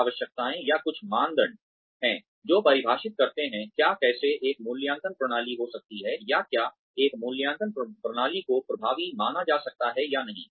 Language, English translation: Hindi, There are some needs, or some criteria, that define, what, how an appraisal system can be, or whether an appraisal system can be considered, as effective or not